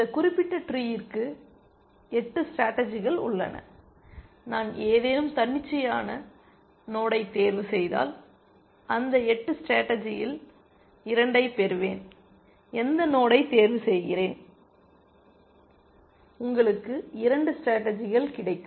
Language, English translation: Tamil, For this particular tree, there are 8 strategies and if I choose any arbitrary node, I will get 2 of those 8 strategies, choose any node and you will get 2 strategies